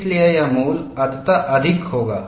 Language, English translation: Hindi, So, this value will be eventually higher